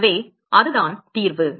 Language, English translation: Tamil, So, that is the solution all right